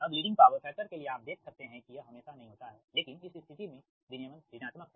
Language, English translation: Hindi, right so for leading power factor, you can see that it is not always, but in this case that regulation is negative, right so